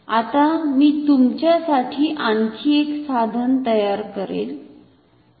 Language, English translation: Marathi, Now, I will make another instrument for you